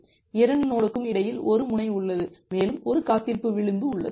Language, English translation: Tamil, There is an edge between 2 nodes and we have an edge wait